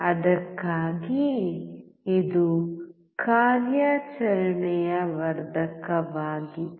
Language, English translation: Kannada, That is why it is operational amplifier